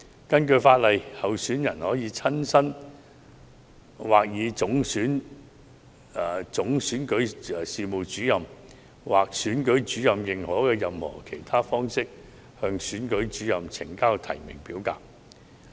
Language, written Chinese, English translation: Cantonese, 根據法例，候選人可親身或以總選舉事務主任或選舉主任認可的任何其他方式，向選舉主任呈交提名表格。, Under the law a candidate is allowed to submit the nomination form to the Returning Officer in person or in any other manner authorized by the Chief Electoral Officer or the Returning Officer